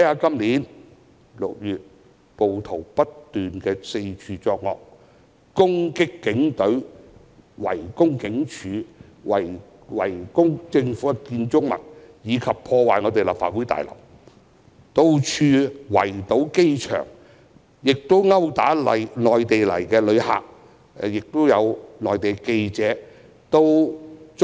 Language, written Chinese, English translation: Cantonese, 今年6月，暴徒不斷四處作惡，攻擊警隊，圍攻警署、政府建築物及破壞立法會大樓，以至圍堵機場、毆打內地來港旅客和記者。, In June this year rioters incessantly did evil acts all over the city . They attacked the Police Force besieged police stations and government buildings and damaged the Legislative Council Complex . They went on to blockade the airport and assault Mainland visitors to Hong Kong and reporters